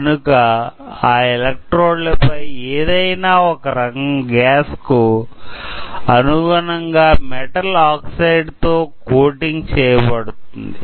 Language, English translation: Telugu, So, over this electrode, we will be coating a metal oxide specific to a specific gas